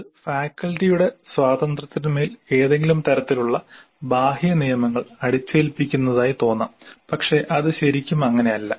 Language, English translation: Malayalam, Again, it looks like some kind of imposition of external rules on the freedom of the faculty but it is not really that